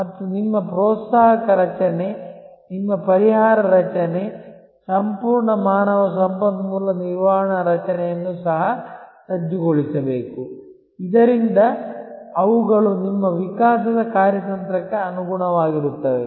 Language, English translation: Kannada, And your incentive structure, your compensation structure, the entire human resource management structure also must be geared up, so that they are in tune with your evolving strategy